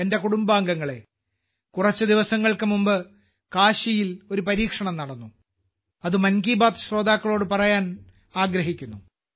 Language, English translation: Malayalam, My family members, a few days ago an experiment took place in Kashi, which I want to share with the listeners of 'Mann Ki Baat'